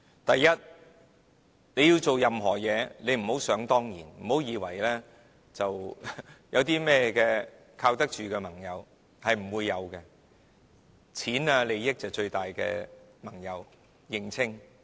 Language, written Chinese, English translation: Cantonese, 第一，它做任何事，不要想當然，不要以為有靠得住的盟友，是不會有的，金錢和利益就是最大的盟友，請認清。, First it should not take anything for granted and think that there are reliable alliances when it is going to take on any task . There wont be any reliable alliances . Money and interests are the biggest alliances please get a clear understanding of it